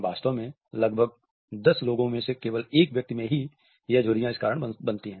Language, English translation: Hindi, Actually only 1 in about 10 people can cause these wrinkles on purpose